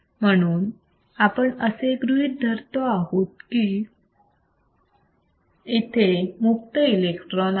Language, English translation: Marathi, And thus, we are assuming that there are free electrons